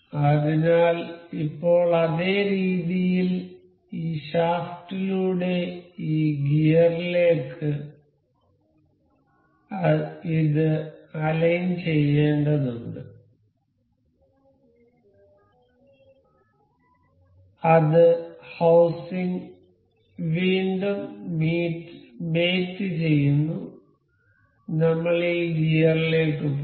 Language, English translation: Malayalam, So, now in the same way, I have got to align this to this gear with this shaft that is housing that mate again we will go to this gear ok